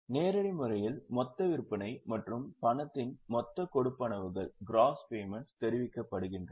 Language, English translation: Tamil, In the direct method, gross sales and gross payments of cash are reported